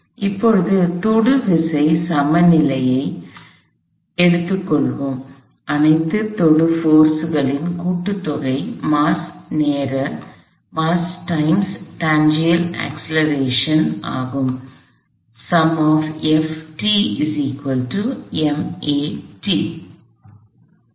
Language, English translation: Tamil, So, now, let us take a tangential force balance, sum of all tangential forces is mass times tangential acceleration